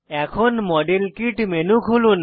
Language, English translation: Bengali, Open the model kit menu